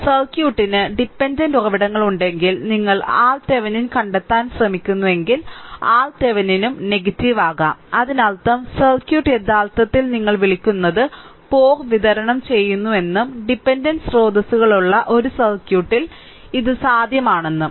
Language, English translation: Malayalam, If the circuit has dependent sources and you trying to find out R Thevenin, so R Thevenin may become negative also in; that means, the circuit actually is your what you call that supplying power and this is possible in a circuit with dependent sources